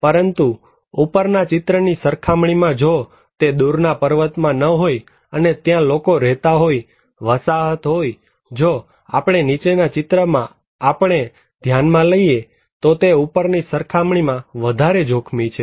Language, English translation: Gujarati, But maybe if it is not in a remote mountain but people are living there, settlements are there compared to that top one, if we consider the bottom one to us, it is more risky than the top one